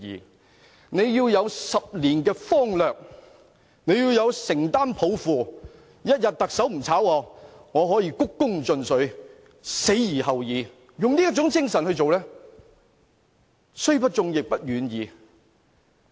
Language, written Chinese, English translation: Cantonese, 他們要有10年的方略，要承擔抱負，特首一天不辭退他們，也要鞠躬盡瘁，死而後已，用這種精神來做事，雖不中，亦不遠矣。, Instead they should devise their 10 - year plans with commitment and vision . As long as the Chief Executive does not dismiss them they still have to work with utter dedication until their dying days . With these in mind our government officials are close to if not fully meet our requirements